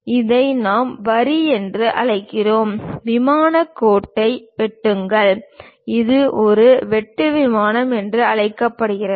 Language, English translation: Tamil, And this one what we call line, cut plane line and this one is called cut plane